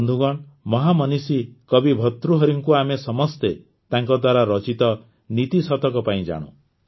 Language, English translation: Odia, Friends, we all know the great sage poet Bhartrihari for his 'Niti Shatak'